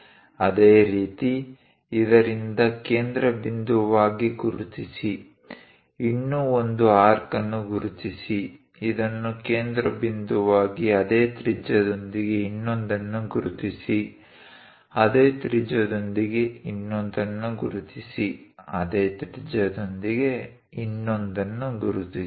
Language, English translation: Kannada, Similarly, mark from this one as centre; mark one more arc, from this one as centre with the same radius mark other one, with the same radius mark other one, with the same radius mark other one